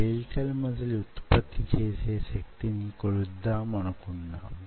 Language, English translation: Telugu, we wanted to measure the force generated by skeletal muscle